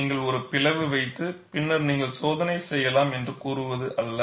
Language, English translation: Tamil, It is not that, you simply put a slit and then say, that you can do the test